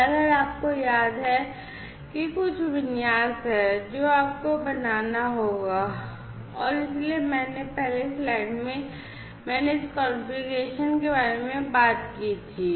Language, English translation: Hindi, And if you recall that there is some configuration that you would have to make and so I earlier in the slide I talked about this configuration